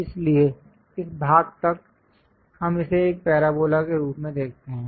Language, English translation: Hindi, So, up to this portion, we see it as a parabola